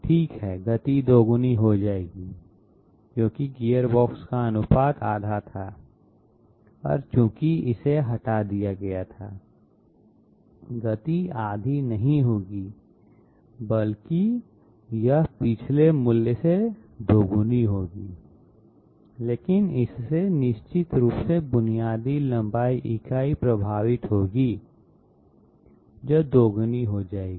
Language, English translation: Hindi, Okay, speed will be doubled because the ratio of the gearbox was half and since this is removed, speed will not be half but it will be double of the previous value, but this will definitely affect the basic length unit which will become double as well